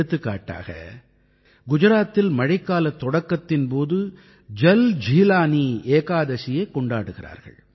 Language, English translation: Tamil, For example, when it starts raining in Gujarat, JalJeelani Ekadashi is celebrated there